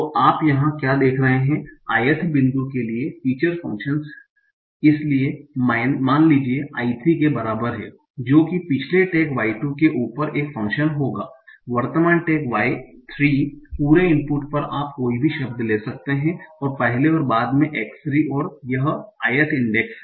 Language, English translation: Hindi, So, what you are seeing here for the i th point, the feature function, so suppose I is equal to 3 would be a function over the previous tag Y2, current tag Y3, the whole the input you can take any number of words before and after x3 and this is the i